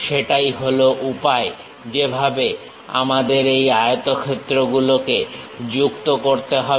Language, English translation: Bengali, That is the way we have to join these rectangles